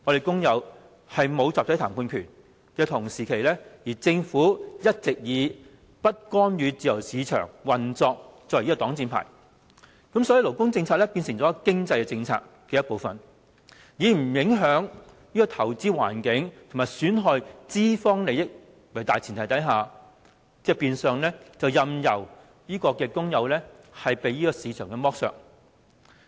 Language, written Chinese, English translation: Cantonese, 工人沒有集體談判權，而政府則一直以不干預自由市場運作為擋箭牌，以致勞工政策成為經濟政策的一部分，以不影響投資環境和不損害資方利益為大前提，變相任由工人被市場剝削。, When workers do not have the right to collective bargaining and the Government has all along been using non - intervention in the free market as the shield labour policies have been reduced to a part of our economic policy on the premise that the investment environment and employers interest should remain intact . Such a practice is de facto condoning the exploitation of workers in the market